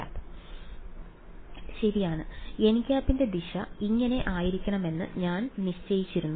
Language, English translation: Malayalam, N cap right I had fixed the direction of n hat to be this way